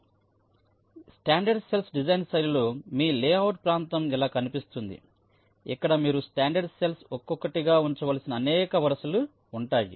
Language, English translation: Telugu, so in this standard cell design style, your layout area will look like this, where there will be several rows in which you are expected to put in the standard cells one by one